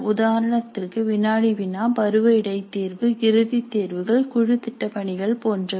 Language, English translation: Tamil, Examples are quizzes, midterm tests, final examinations, group projects